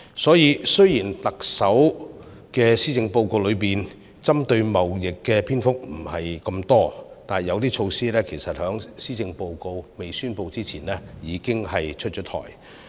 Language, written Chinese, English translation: Cantonese, 所以，雖然特首的施政報告中針對貿易的篇幅不多，但是，有些措施其實在施政報告發表前已經出台。, Even though not much on trade was mentioned by the Chief Executive in the Policy Address some of the measures had already been put in place before the presentation of the Policy Address